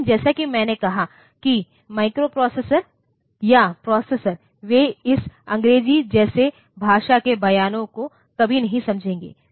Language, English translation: Hindi, But, as I said, that microprocessors or processors, they will never understand this English like language statements